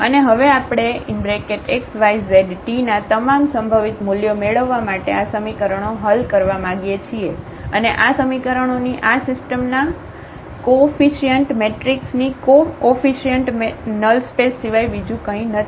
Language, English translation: Gujarati, And we want to now solve these equations to get all possible values of these x, y, z and t and this is nothing but the null space of the coefficient matrix of the coefficient matrix of this of this system of equations and that is nothing but the Kernel of F